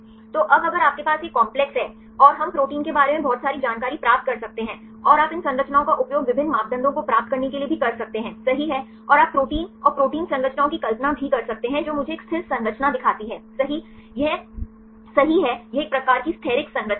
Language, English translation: Hindi, So, now if you have these complexes and we can get lot of information on the proteins right and you can also use these structures to obtain various parameters, right and you can also visualize the protein and the protein structures I show one static structure, right, this is a right this is a kind of static structure